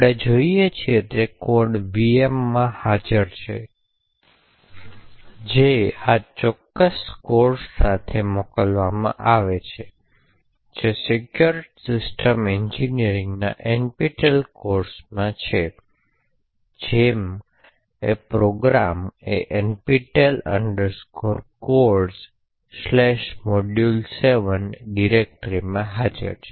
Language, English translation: Gujarati, The code that we are looking at is present in the VM that is shipped along with this particular course that is the Secure System Engineering NPTEL course and the program as such is present in this directory NPTEL Codes/module7